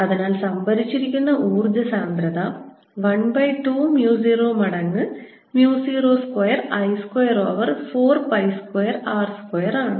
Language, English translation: Malayalam, so the energy stored energy density is going to be one over two mu zero times b squared: mu zero square